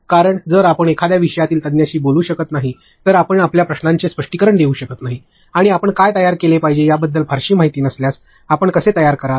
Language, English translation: Marathi, Because if you cannot speak to a subject matter expert you cannot get your queries clarified, and if you do not have a very good understanding of what is to be created; how will you create